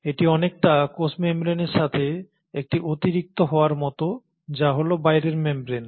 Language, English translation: Bengali, So it is like an addition to the cell membrane which is the outermost membrane